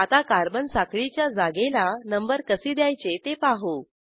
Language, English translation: Marathi, Now I will demonstrate how to number the carbon chain positions